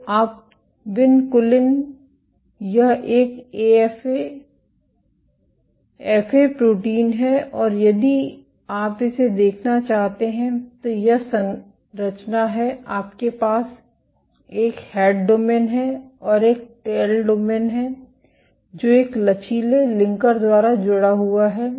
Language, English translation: Hindi, So, vinculin it is a FA protein and if you want to look at it is structure, you have a head domain, and a tail domain, which are connected by a flexible linker